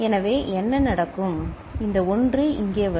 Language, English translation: Tamil, So, what will happen this 1 will come over here